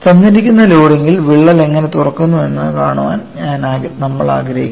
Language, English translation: Malayalam, One of the interest is, we want to see under given loading how the crack opens up